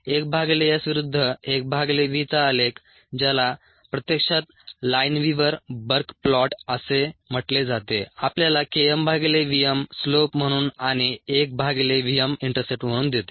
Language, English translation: Marathi, a plot of one by v verses, one by s, which is actually called the lineweaver burke plot, ah, gives us k m by v m as the slope and one by v m as the intercept from s verses t data